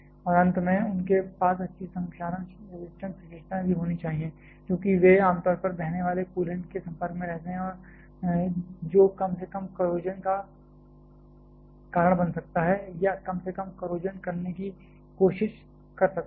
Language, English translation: Hindi, And finally, they should have also good corrosion resistance characteristics; because they generally remain in contact with flowing coolant which can cause or at least can try to cause a little amount of corrosion